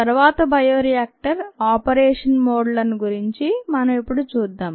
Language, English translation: Telugu, next let us look at the bioreactor operation modes